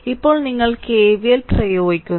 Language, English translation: Malayalam, So, you apply KVL like this, you apply KVL like this